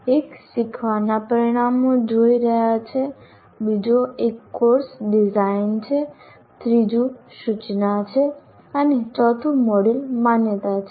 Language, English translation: Gujarati, The second one is course design, third one is instruction, and fourth module is accreditation